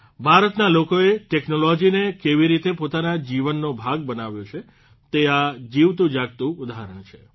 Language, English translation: Gujarati, This is a living example of how the people of India have made technology a part of their lives